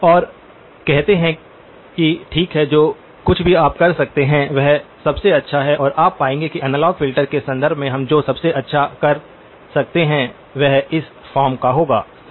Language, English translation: Hindi, And say that okay whatever is the best that you can do and you will find that most of the times the best that we can do in terms of the analog filters will be of this form right